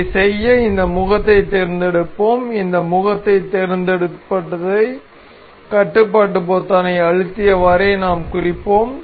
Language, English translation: Tamil, To do this we will select this face and we will select control select this face and we will mark